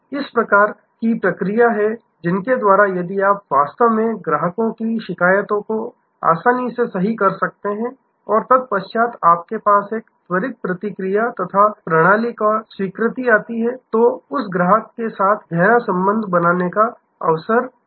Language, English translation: Hindi, This is the kind of processes thorough which if you can actually make customer's complaint easily and then, you have a quick response and the systemic acceptance, then it is an occasion of creating deeper relationship with that customer